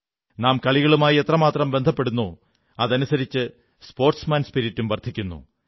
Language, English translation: Malayalam, The more we promote sports, the more we see the spirit of sportsmanship